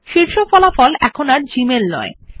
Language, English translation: Bengali, The top result is no longer gmail